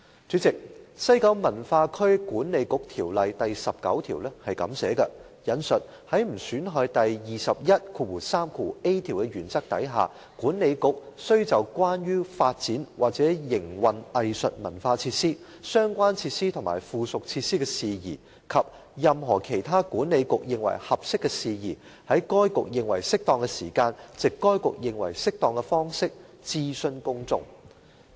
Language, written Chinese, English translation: Cantonese, 主席，《西九文化區管理局條例》第19條訂明，"在不損害第 213a 條的原則下，管理局須就關於發展或營運藝術文化設施、相關設施及附屬設施的事宜，及任何其他管理局認為合適的事宜，在該局認為適當的時間，藉該局認為適當的方式，諮詢公眾"。, President section 19 of the Kowloon West Cultural District Authority Ordinance stipulates that Without prejudice to section 213a the Authority shall in relation to matters concerning the development or operation of arts and cultural facilities related facilities ancillary facilities and any other matters as the Authority considers fit consult the public at such time and in such manner as it considers appropriate